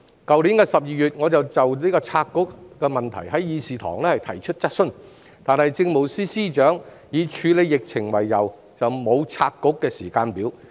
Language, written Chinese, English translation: Cantonese, 去年12月，我再就拆局事宜在議事堂上提出質詢，但政務司司長以處理疫情為由，沒有提出拆局的時間表。, In December last year I raised a question on the split of the Bureau again in this Chamber but the Chief Secretary for Administration did not propose any timetable for the split citing the reason that the Government had to deal with the epidemic